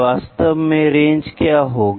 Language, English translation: Hindi, What is actually range